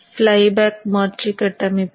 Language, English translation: Tamil, This is the flyback converter circuit